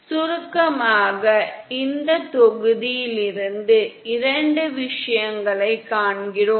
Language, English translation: Tamil, In summary we see 2 things from this module